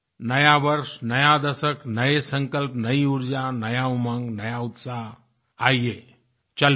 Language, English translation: Hindi, New Year, new decade, new resolutions, new energy, new enthusiasm, new zeal come let's move forth